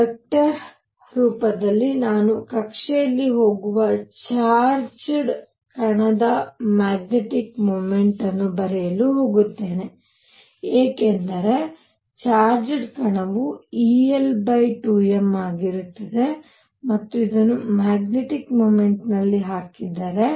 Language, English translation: Kannada, In the vector form I am going to write magnetic moment of a charged particle going in an orbit is going to be equal to e of electron since the charged particle happens to be electron l over 2 m and if this is put in a magnetic field